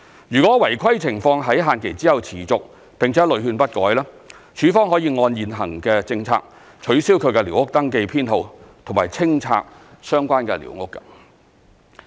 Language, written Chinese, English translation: Cantonese, 若違規情況在限期後持續並屢勸不改，署方可按現行政策取消其寮屋登記編號及清拆相關的寮屋。, If the irregularities persist after the deadline despite repeated warnings LandsD may cancel the squatter survey number concerned in accordance with the existing policy and clear the squatter structure